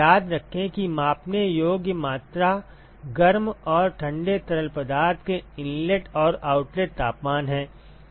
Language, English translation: Hindi, Remember that the measurable quantities are the inlet and the outlet temperatures of the hot and the cold fluid ok